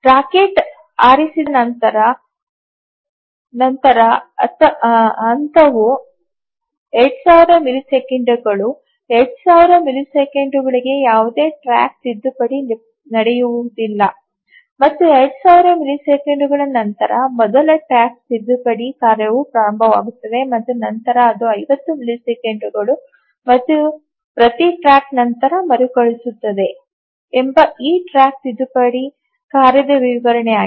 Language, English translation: Kannada, So, that's the description of this track correction task that the phase is 2,000 milliseconds after the rocket is fired for 2,000 milliseconds, no track correction takes place and after 2,000 milliseconds the first track correction task starts and then it requires after 50 milliseconds and each track correction task requires 8 milliseconds of execution time and the deadline for each task once it is released is also 50 milliseconds